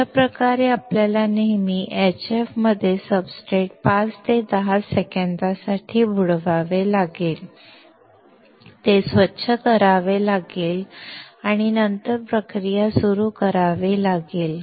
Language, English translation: Marathi, Thus, we have to always dip the substrate in HF for 5 to 10 seconds, clean it and then start the process